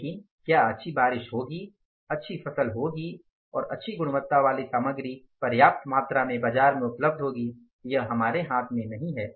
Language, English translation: Hindi, We can only anticipate but whether there will be good rain, good harvest, good crop and good quality of material in the right amount quantity will coming up to the market that is not in our hands